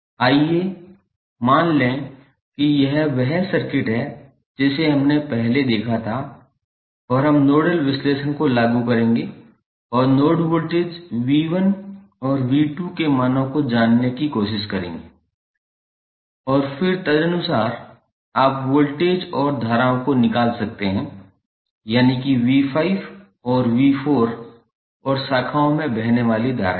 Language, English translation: Hindi, Let us assume that this is the circuit which we saw previously and we will apply the nodal analysis and try to find out the values of node voltages V 1 in V 2 and then accordingly you can find the voltages and currents for say that is V 5 and V 4 and the currents flowing in the branches